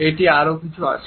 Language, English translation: Bengali, There is something more